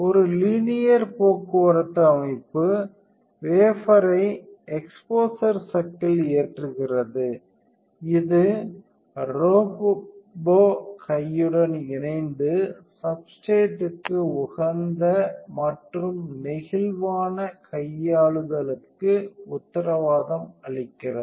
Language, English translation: Tamil, A linear transport system loads the wafer onto the exposure chuck which together with the robot arm guarantees the optimal and flexible handling of the substrate